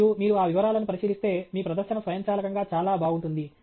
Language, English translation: Telugu, And if you look at those details your presentation automatically looks a lot better okay